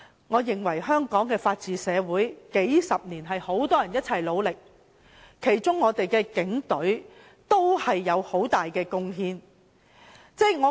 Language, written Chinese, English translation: Cantonese, 我認為香港的法治社會，是由很多人數十年來一起努力建立的，警隊有很大的貢獻。, In my opinion the rule of law in Hong Kong society is established with the endeavour of a lot of people over the decades and the Police have made an enormous contribution